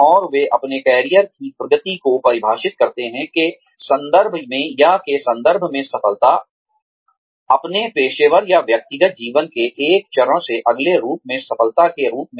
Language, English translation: Hindi, And, they define their career progression, in terms of, or, success in terms of, being able to move from, one stage of their professional or personal lives, to the next, as success